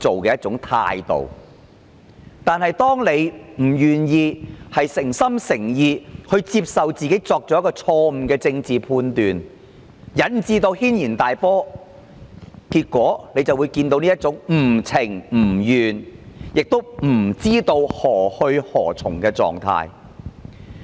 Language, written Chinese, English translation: Cantonese, 可是，當她不願意誠心誠意承認她作出了錯誤的政治判斷而引致軒然大波，結果就會看到現時這種不情不願亦不知何去何從的狀態。, However as she was not willing to sincerely admit that she had made political misjudgment and caused a huge uproar the present state of reluctance and uncertainty has thus arisen